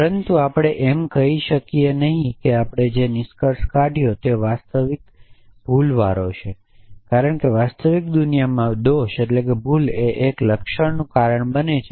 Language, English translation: Gujarati, But we can not necessarily say that we have concluded is the real fault, because in the real world in the real world a fault causes a symptom in the real world something has gone wrong